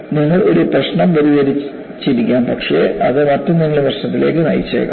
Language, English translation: Malayalam, You may have solved one problem, but that may lead to some other problem